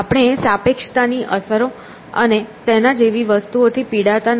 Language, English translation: Gujarati, We do not suffer from these effects of relativity and things like that